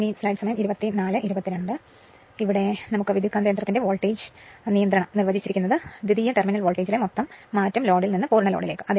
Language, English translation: Malayalam, Therefore, the voltage regulation of transformer is defined as the net change in the secondary terminal voltage from no load to full load right